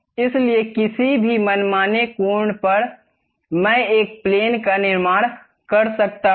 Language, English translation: Hindi, So, at any arbitrary angle, I can really construct a plane